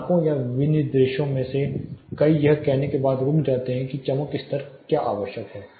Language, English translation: Hindi, Many of the standards are many of the specifications will stop short of saying what is a brightness level required